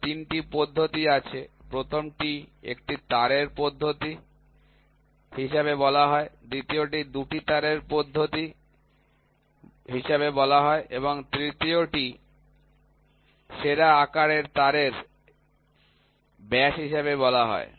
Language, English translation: Bengali, So, there are three methods one is called as one wire method, two is called as two wire method and the third one is called as the diameter of the best size wire